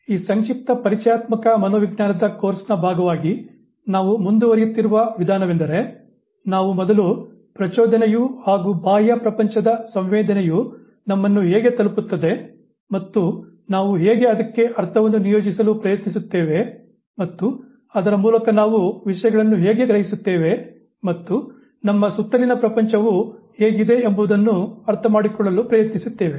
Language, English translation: Kannada, The way we are proceeding as part of this very brief introductory psychology course is that we have first tried to understand how the stimulus, how the sensation from the external world reaches us, how we try to assign meaning to it, thereby trying to understand that how do we perceive things, how do we make out sense of how the world is around us